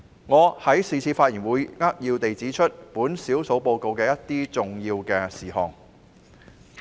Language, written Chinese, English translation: Cantonese, 我在是次發言會扼要指出少數報告的一些重點事項。, In this speech I will highlight some main points of the Minority Report